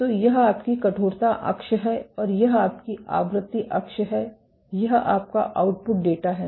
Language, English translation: Hindi, So, this is your stiffness axis and this is your frequency axis, this is your output data